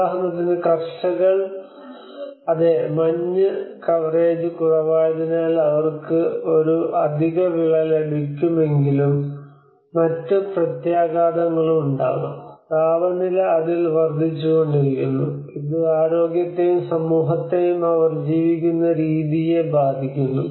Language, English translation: Malayalam, For instance, the farmers say yes, snow coverage less so we may get an extra crop but there will also other impacts; the temperature is increasing on it, and it has impacts on the health and as well as the communities the way they live